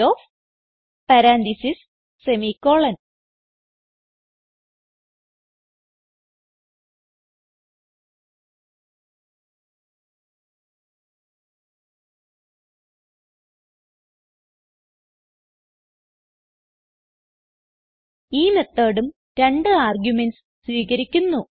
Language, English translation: Malayalam, copyOf(marks, 5) This method takes two arguments